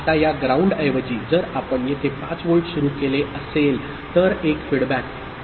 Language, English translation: Marathi, Now instead of this ground if you had started with a 5 volt here, then a feedback, ok